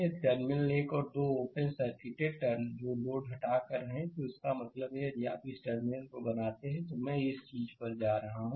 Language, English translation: Hindi, If the terminal 1 and 2 are open circuited that is by removing the load; that means, if you if you make this terminal, I am going to the this thing